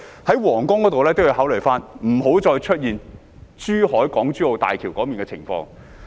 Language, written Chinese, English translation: Cantonese, 在皇崗口岸也要考慮，不要再出現港珠澳大橋珠海段的情況。, In the case of the Huanggang Port consideration should also be given to avoiding a repeat of the situation of the Zhuhai section of HZMB